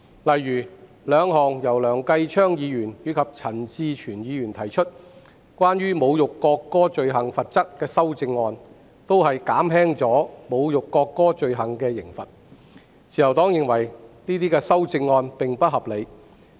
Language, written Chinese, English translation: Cantonese, 例如，兩項由梁繼昌議員和陳志全議員提出，關於侮辱國歌罪行罰則的修正案均旨在減輕侮辱國歌罪行的刑罰，自由黨認為這些修正案並不合理。, For example the two amendments proposed by Mr Kenneth LEUNG and Mr CHAN Chi - chuen seek to reduce the penalty for the offence of insulting the national anthem . The Liberal Party finds these amendments unreasonable